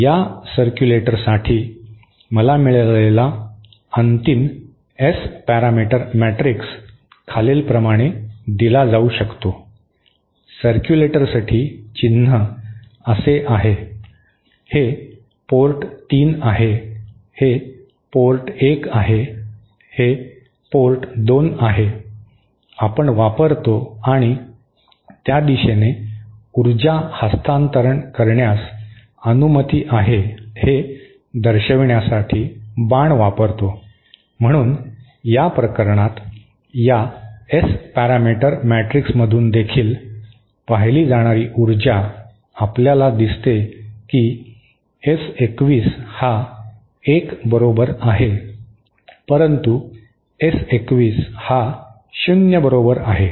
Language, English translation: Marathi, the final S parameter matrix that I get for this circulator can be given asÉ The symbol of a circulator is like this, this is port 3, this is port 1, this is port 2 we use and arrow to show the direction in which power transfer is allowed, so in this case, power as also seen from this S parameter matrix, we see that S 21 equal to1 but S21 equal to 0